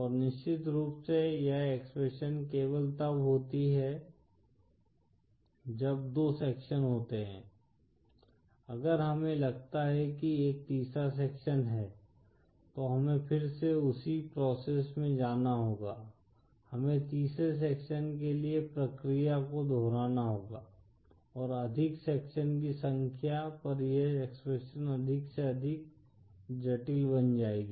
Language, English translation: Hindi, And of course this expression is only when there are 2 sections, if we suppose have a third section, then we have to again to the same process, we have to repeat the process for the third section, and the more the number of sections, this expression will become more & more complicated